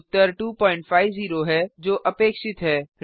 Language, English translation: Hindi, The answer is 2.50 as expected